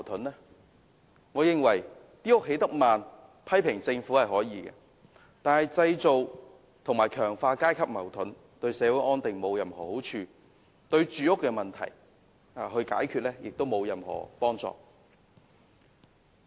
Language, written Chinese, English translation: Cantonese, 他可以批評政府興建房屋進度緩慢，但製造和強化階級矛盾，對社會安定並無任何好處，對解決住屋問題亦沒有任何幫助。, He can criticize the Government for the slow progress in housing construction but his above remarks will jeopardize social stability by creating and intensifying class conflicts . It will not help resolve the housing problem